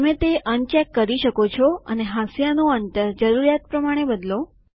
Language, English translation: Gujarati, One can uncheck it and change the margin spacing as per the requirement